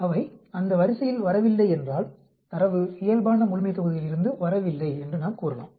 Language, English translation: Tamil, If they do not fall on that line, then we can say that the data does not come from the normal population